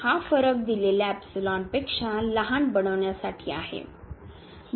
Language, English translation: Marathi, To make this difference is smaller than the given epsilon